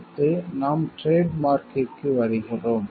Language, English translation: Tamil, Next when we come to trademark